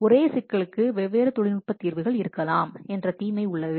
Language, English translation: Tamil, The disadvantage that different technical solutions to the same problem may exist